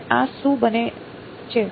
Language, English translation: Gujarati, And this becomes what